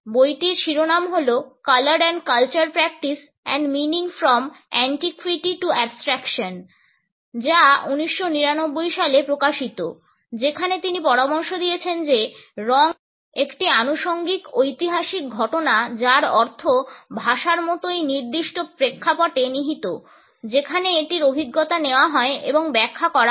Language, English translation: Bengali, The title of the book is Color and Culture Practice and Meaning from Antiquity to Abstraction published in 1999, wherein he has suggested that color is a contingent historical occurrence whose meaning like language lies in the particular context in which it is experienced and interpreted